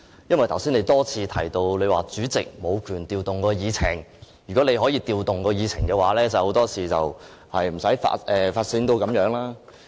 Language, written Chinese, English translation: Cantonese, 你剛才多次提及主席無權調動議程；假如你可以調動議程，很多事情都不會發展成這樣。, You have repeatedly mentioned that the President does not have the power to rearrange the order of agenda items; if you could rearrange the order of agenda items many things would not have happened that way